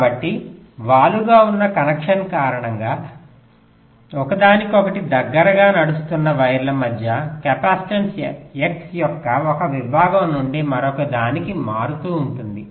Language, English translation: Telugu, so because of the slanted kind of connection, the capacitance between the wires which are running closer to each other will be varying from one segment of the x to other